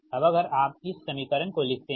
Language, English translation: Hindi, so this equation we will get